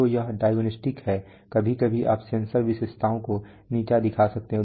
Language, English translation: Hindi, So that is diagnostics sometimes you could have you know sensor characteristics sometimes degrade